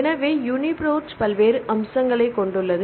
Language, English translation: Tamil, So, it has various features UniProt